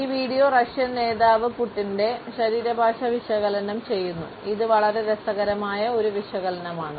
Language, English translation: Malayalam, This video is analysed the body language of the Russian leader Putin and it is a very interesting analysis